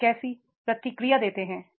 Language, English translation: Hindi, How do you react